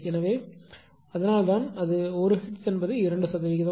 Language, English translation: Tamil, So, that is why it is 1 hertz is equal to 2 pi or 2 percent right